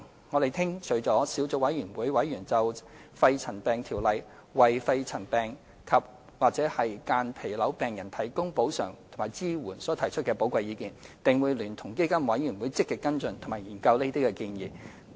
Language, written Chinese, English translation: Cantonese, 我們聽取了小組委員會委員就《條例》為肺塵病及/或間皮瘤病人提供補償及支援所提出的寶貴意見，定會聯同基金委員會積極跟進及研究這些建議。, After listening to the valuable opinions given by the Subcommittee members on the provision of compensation and support under PMCO to patients suffering from pneumoconiosis andor mesothelioma we will actively follow up on and study their proposals with PCFB